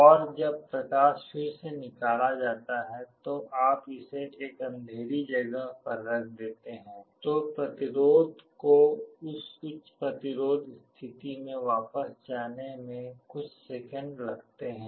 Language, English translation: Hindi, And when light is withdrawn again you put it in a dark place, then it can take a couple of seconds for the resistance to go back to that high resistance state